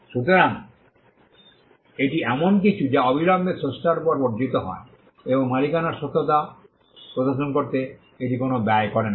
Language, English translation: Bengali, So, this is something that accrues immediately on the creator and it does not cost anything to display the fact of ownership